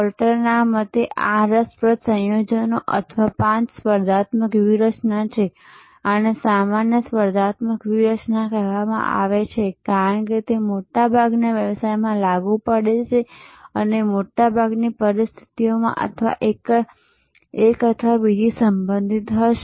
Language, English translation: Gujarati, According to Porter, there are these interesting combinations or five competitive strategies, these are called the generic competitive strategies, because they are applicable in most businesses and in most situations, one or the other will be relevant